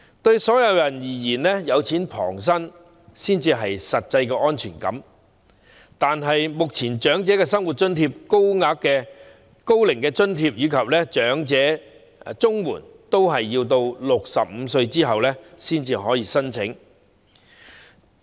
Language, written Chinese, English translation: Cantonese, 對所有人而言，"有錢旁身"才會有實際的安全感，但目前申領長者生活津貼、高齡津貼及長者綜合社會保障援助金的合資格年齡均為65歲。, Everyone would think that having money on hand gives them an actual sense of security . But at present the eligibility age for the Old Age Living Allowance Old Age Allowance and elderly Comprehensive Social Security Allowance is all set at 65